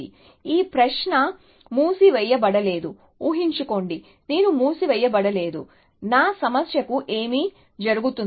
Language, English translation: Telugu, So, this question, no closed, supposing, I am did not have closed, what would happen to my problem